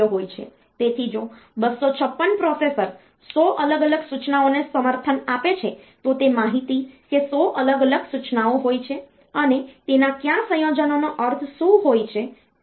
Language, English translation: Gujarati, So, if you out of say 256 if a processor support a 100 different instructions, that information that there are 100 different instruction and which combinations mean what